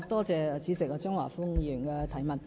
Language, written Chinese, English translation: Cantonese, 主席，感謝張華峰議員的質詢。, President I thank Mr Christopher CHEUNG for his question